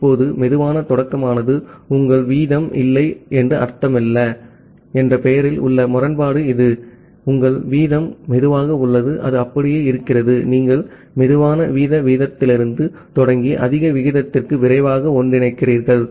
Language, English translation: Tamil, Now, this is the irony in the name that slow start does not mean that your rate is not your rate is slow, it is just like that, you are starting from a slower rate rate and making a faster convergence to the high rate